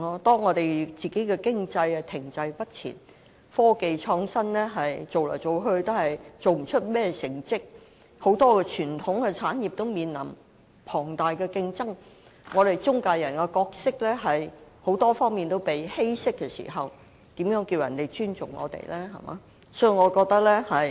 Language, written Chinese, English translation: Cantonese, 當我們的經濟停滯不前，科技創新做來做去也做不到甚麼成績，很多傳統產業都面臨龐大競爭，我們的中介人角色在很多方面都被稀釋時，如何叫人尊重我們？, When our economy is stagnant; when we cannot make any achievement in technological innovation; when many traditional industries are facing intense competition; and when our role as an intermediary is being diluted in many ways how can we earn the respect of others?